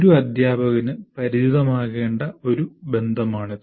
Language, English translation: Malayalam, That is a relationship that one should be, a teacher should be familiar with